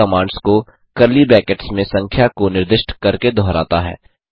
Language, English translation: Hindi, This repeats the commands within the curly brackets the specified number of times